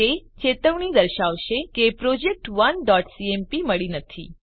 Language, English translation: Gujarati, It will show warning saying project1.cmp not found